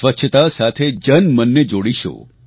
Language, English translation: Gujarati, We shall connect people through cleanliness